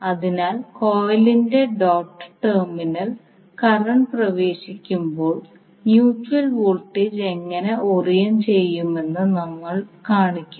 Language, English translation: Malayalam, So we show when the current enters the doted terminal of the coil how the mutual voltage would be oriented